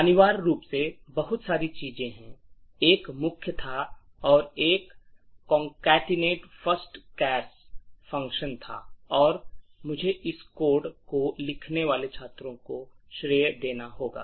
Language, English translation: Hindi, C and there is essentially, did a lot of things, there was a main and there was a concatenate first chars function and I have to give credit to the students who wrote this codes